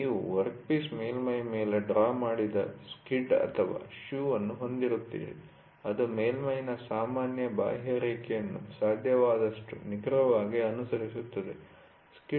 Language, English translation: Kannada, You will have a skid or a shoe drawn over a workpiece surface such that, it follows the general contour of the surface as accurately as possible